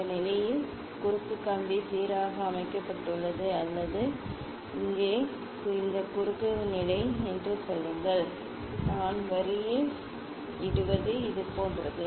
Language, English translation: Tamil, say it is at this at this position cross wire is aligned or here this cross position, I put on the line is like this